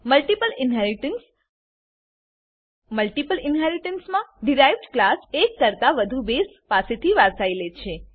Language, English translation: Gujarati, Multiple inheritance In multiple inheritance, derived class inherits from more than one base class